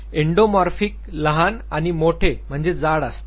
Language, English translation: Marathi, Endomorphic are short and plump